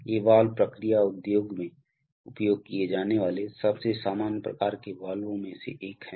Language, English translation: Hindi, So these valves are one of the most common types of valves used in the process industry